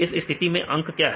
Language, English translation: Hindi, In this case what is a number